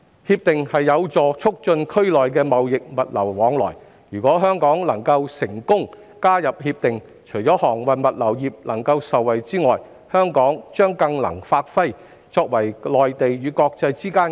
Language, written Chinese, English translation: Cantonese, 《協定》有助促進區內的貿易物流往來，如果香港能夠成功加入《協定》，除了航運物流業能夠受惠外，香港將更能發揮作為內地與國際之間的"中介人"角色。, Since RCEP seeks to help facilitate the trade and logistics flows in the region so successful accession to RCEP will not only benefit the shipping and logistics industry but will also enable Hong Kong to play a more effective role as an intermediary between the Mainland and the rest of the world